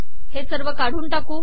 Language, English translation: Marathi, Lets delete this